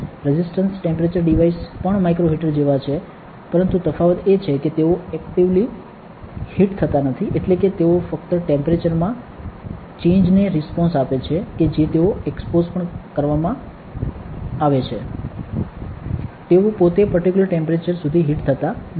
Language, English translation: Gujarati, What are resistance temperature devices, resistance temperature devices are also like micro heaters, but the thing the difference is that they are not actively heated, that means, they only respond to a change in temperature to which they are exposed too, they are themselves not heated to a particular temperature